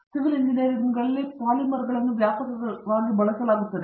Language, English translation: Kannada, Polymers are being used extensively in civil engineering